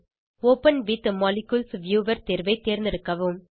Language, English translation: Tamil, Select the option Open With Molecules viewer